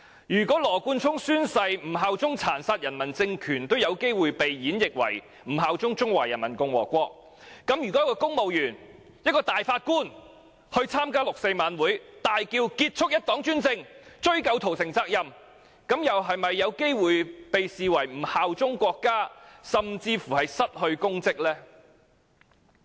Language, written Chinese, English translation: Cantonese, 如果羅冠聰議員宣誓不效忠殘殺人民的政權，也可能被演繹為不效忠中華人民共和國，那麼公務員或大法官在六四晚會中大叫"結束一黨專政，追究屠城責任"，是否也有機會被視為不效忠國家，甚至會因而失去公職呢？, If Mr Nathan LAWs refusal to swear allegiance to a regime that brutally killed its people can be interpreted as not swearing allegiance to the Peoples Republic of China then will civil servants or judges stand a chance of being regarded as not swearing allegiance to the nation thereby being stripped of their public office for shouting putting an end to one - party dictatorship and pursuing responsibility for the massacre in a 4 June gala?